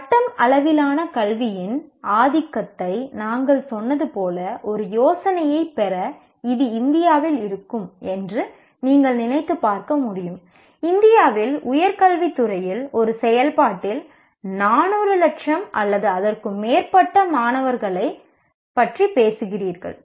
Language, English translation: Tamil, And as we said, the dominance of degree level education to get an idea, you can imagine it will be in India you are talking about 400, lakhs of or more students in a operating in the area of higher education in India